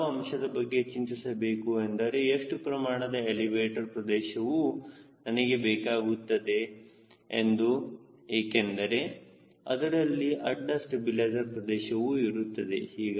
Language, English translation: Kannada, you are more bothered about how much would be the elevator area i should keep once i have got a horizontal stabilizer area